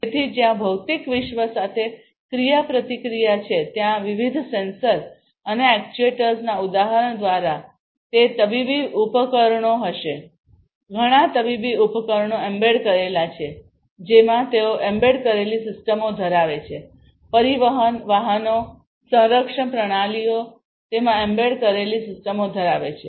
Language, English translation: Gujarati, So, where there is interaction with the physical world, through different sensors and actuators examples of it would be medical instruments, many medical instruments are embedded you know they have embedded systems in them, transportation vehicles, defense systems many of these defense systems have embedded systems in them that